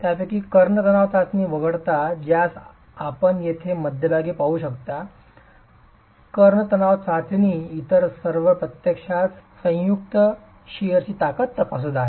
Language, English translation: Marathi, Of these, except for the diagonal tension test, the one that you see in the center here, the diagonal tension test, all the others are actually examining the joint shear strength